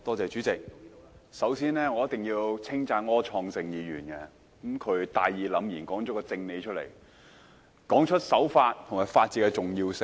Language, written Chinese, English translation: Cantonese, 主席，我首先一定要稱讚柯創盛議員，他大義凜然地說了一個正理，他指出守法和法治的重要性。, President first of all I must sing praises of Mr Wilson OR for his righteous presentation of the truth which is the importance of abiding by the law and the rule of law